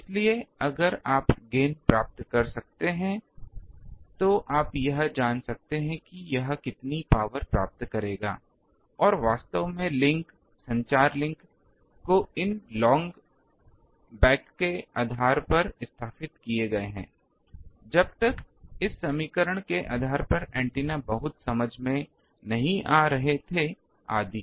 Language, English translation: Hindi, So, there if you can find the gain then you can find out how much power it will receive and actually links, communication links are established based on these long back even when the antennas were not much understood etc